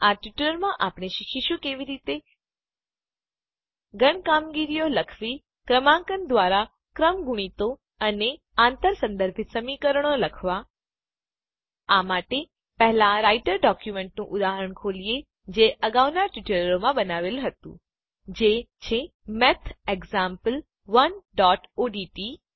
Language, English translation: Gujarati, In this tutorial, we will learn how to Write Set operations Write Factorials and Cross reference equations by numbering For this, let us first open our example Writer document that we created in our previous tutorials: MathExample1.odt